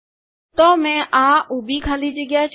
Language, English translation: Gujarati, So I have left this vertical space